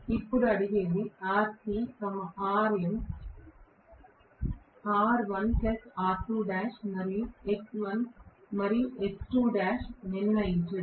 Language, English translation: Telugu, Now, what is being asked is determine rc, xm, r1 plus r2 dash then x1 and x2 dash